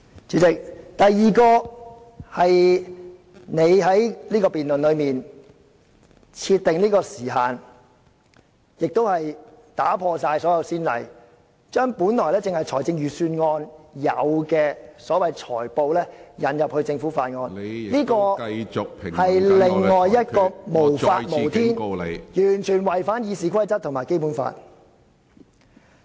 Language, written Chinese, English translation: Cantonese, 主席，第二，你就此項辯論設定時限，亦打破了所有先例，把本來只在財政預算案辯論才出現的所謂"裁布"引入法案的辯論，這做法無法無天，完全違反《議事規則》及《基本法》......, President second you have set the time limit for this debate and adopted the practice of tailoring the filibuster previously only used in budget debates in a debate on a bill . This practice defies the law and is totally inconsistent with the Rules of Procedure and the Basic Law